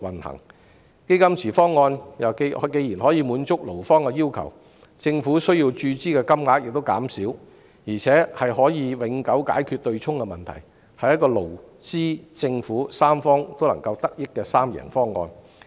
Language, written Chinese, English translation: Cantonese, 既然"基金池"方案可以滿足勞方的要求，政府需要注資的金額亦減少，而且可以永久解決對沖的問題，是一個勞、資、政府三方均能夠得益的三贏方案。, The fund pool option can satisfy the requirements of the employees thus reducing the capital injection by the Government and permanently solving the offsetting problem . It is a win - win - win proposal beneficial to the employees the employers and the Government alike